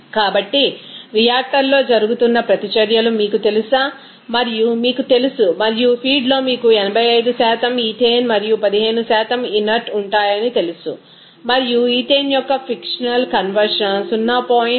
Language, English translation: Telugu, So, let us have these you know reactions that is going on in a reactor and you know that and the feed contains you know 85% ethane and 15% inerts and a fictional conversion of ethane is given 0